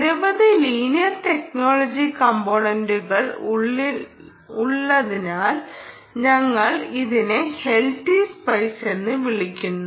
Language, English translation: Malayalam, we call it l t spice because its has a number of linear technologies components